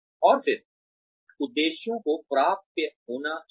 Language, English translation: Hindi, And then, objectives should be attainable